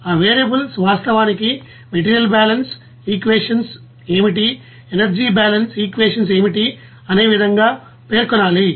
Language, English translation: Telugu, And those variables to be you know mentioned in such a way that what is the actually material balance equation, what is the energy balance equation